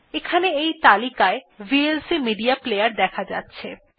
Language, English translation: Bengali, Here we can see that vlc media player is listed